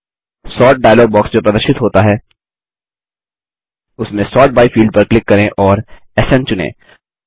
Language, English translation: Hindi, In the Sort dialog box that appears, click the Sort by byfield and select SN